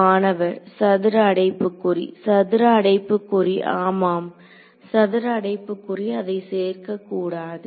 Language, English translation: Tamil, Square bracket actually yeah square bracket should not include the